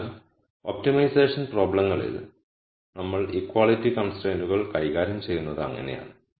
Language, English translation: Malayalam, So, that is how we deal with equality constraints in an optimization problems